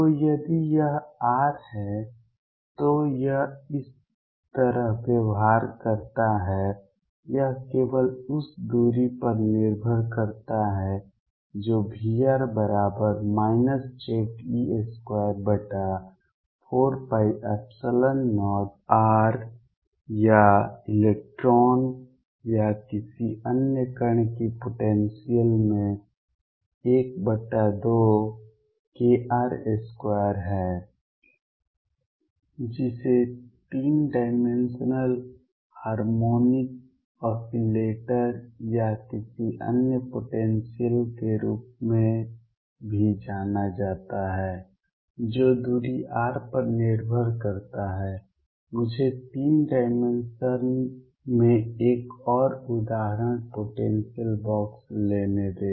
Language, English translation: Hindi, So, if this is r then it behaves like this depends only on the distance this is V r equals minus Ze square over 4 pi epsilon 0 r or electron or any other particle in a potential say one half k r square which is also known as 3 dimensional harmonic oscillator or any other potential that depends on distance r only let me take one more example potential box in 3 dimensions